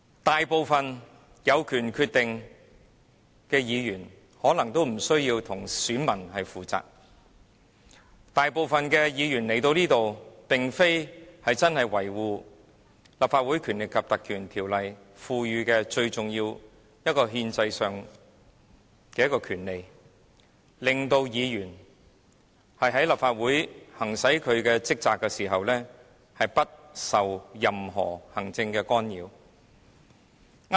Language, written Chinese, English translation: Cantonese, 大部分有此決定權的議員可能皆無需要向選民負責，而這裏大部分議員加入議會的目的，並非真的為了維護《立法會條例》賦予我們的最重要憲制權利，讓議員在立法會行使職責時可不受任何行政干擾。, It may be true that there is no need for the majority of Members who have the power to decide to be accountable to the voters and most of the Members here did not join this Council with the aim of safeguarding the important constitutional rights given to us under the Legislative Council Ordinance so that Members may execute their duties and responsibilities in this Council without any interference from the executive authorities